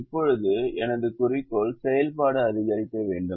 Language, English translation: Tamil, now my objective function is to maximize